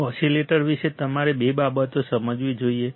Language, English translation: Gujarati, Two things you must understand about the oscillator